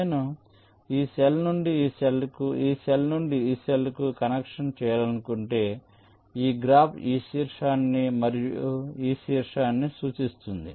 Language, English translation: Telugu, if suppose i want to make a connection from this cell to this cell, this cell to this cell, which in this graph represents this vertex and this vertex